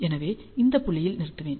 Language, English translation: Tamil, So, this is my point at which I will stop